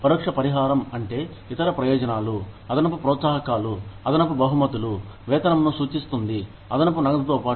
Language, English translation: Telugu, Indirect compensation refers to, the other benefits, additional incentives, additional rewards, additional remuneration, in addition to cash